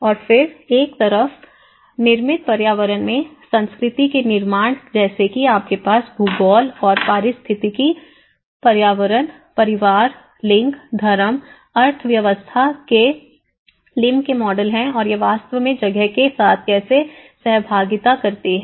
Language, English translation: Hindi, And then on one side the constructs of culture in the built environment like you have the Lim’s model of geography and ecological environment, family, gender, religion, economy and how these actually interact with the space